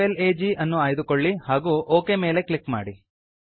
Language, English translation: Kannada, Choose PWR FLAG and click on OK